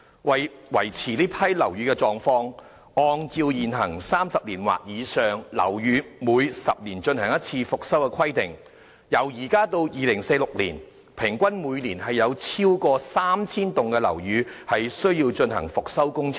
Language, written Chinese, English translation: Cantonese, 為維持這批樓宇的狀況，按照現行 "30 年或以上的樓宇每10年進行一次復修"的規定，由現在到2046年，平均每年有超過 3,000 幢樓宇需要進行復修工程。, To maintain the condition of these buildings owners of buildings aged 30 or above have to comply with the requirement of conducting inspections of their buildings once every 10 years . Hence between now and 2046 there will be over 3 000 buildings requiring rehabilitation works every year on average